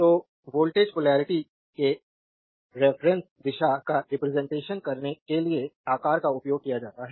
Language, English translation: Hindi, So, size are used to represent the reference direction of voltage polarity